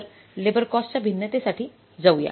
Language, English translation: Marathi, So let us go for the labor cost variance